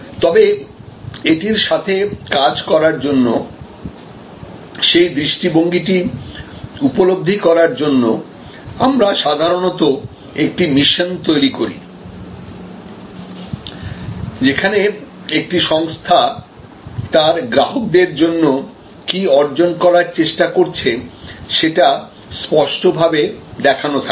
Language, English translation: Bengali, But, then to work with it, to realize that vision, we usually set a mission, an organizations clear view of what it is trying to accomplish for its customers